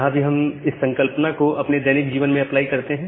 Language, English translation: Hindi, Here also we apply the concept from our normal day to day life